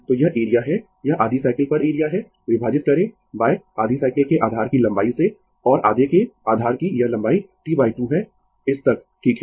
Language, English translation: Hindi, So, this is the area this is the area over the half cycle divided by the length of the base of half cycle and this length of the base of half is T by 2, up to this right